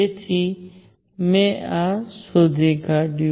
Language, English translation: Gujarati, So, this is what I figured out